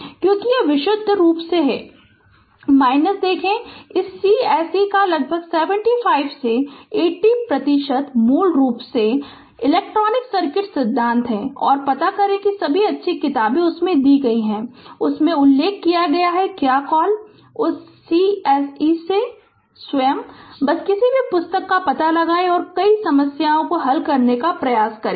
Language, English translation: Hindi, And because this is purely your see your nearly 75 to 80 percent of this course is basically electric circuit theory and find out all the good books are given in that your I have mentioned in that your what you call, in that course itself and just find out any book and try to solve many problems